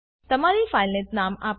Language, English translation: Gujarati, Give your file a name